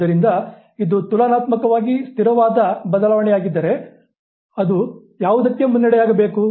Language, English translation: Kannada, So, if it is a relatively stable change, what should it lead to